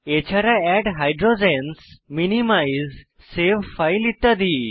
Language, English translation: Bengali, * Add Hydrogens, Minimize and save files